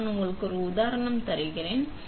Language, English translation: Tamil, So, I will give you an example